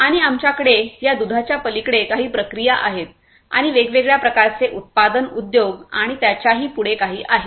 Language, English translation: Marathi, And, we have beyond this milk processing and different types of manufacturing industries and so on and so forth